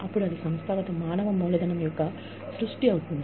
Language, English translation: Telugu, So, that is the organizational human capital